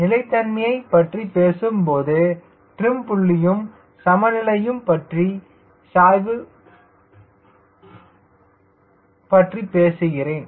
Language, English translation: Tamil, whenever talking about stability, i have talking about a slope, about the equilibrium, about the trim